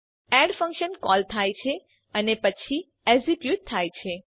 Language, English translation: Gujarati, The add function is called and then executed